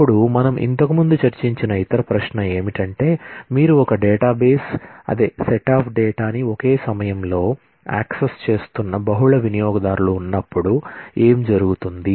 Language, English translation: Telugu, Then, the other question that we have discussed about earlier also, is a multiple users are you accessing the same database, the same set of data, at the same time